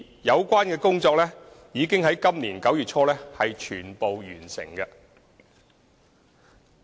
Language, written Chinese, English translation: Cantonese, 有關工作已於今年9月初全部完成。, All the relevant works were completed in early September 2017